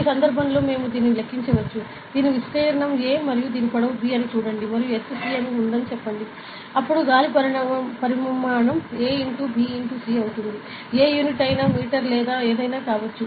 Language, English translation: Telugu, And in this case we could calculate it as; see if the this is area a length a and this is length b and say there is a height c; then the volume of air will be a into b into c ok; whatever unit, may be could be in metre or whatever it is